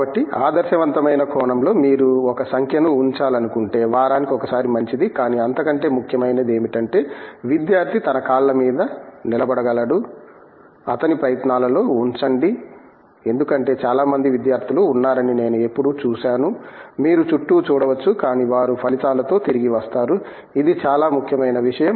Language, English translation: Telugu, So, in an ideal sense if you want put a number may be once a week is fine, but more important is the student is able to stand on his feet, put in his efforts because I have always seen that there are so many students who you may be seen around but they come back with results, that is a very important thing